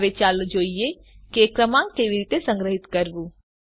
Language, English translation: Gujarati, Now let us see how to store a number